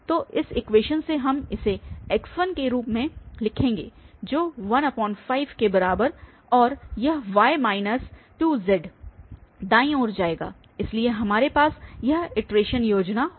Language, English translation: Hindi, So, from this equation we will write this as x1 is equal to 1 by 5 and this y minus 2z will go to the right hand side, so we will have this iteration scheme